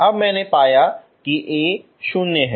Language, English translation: Hindi, So that will give me A equal to 0